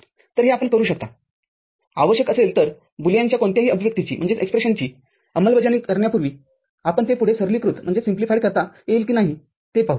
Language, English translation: Marathi, So, that is what you would do, if so required, before implementing any Boolean expression, we shall see whether it can be further simplified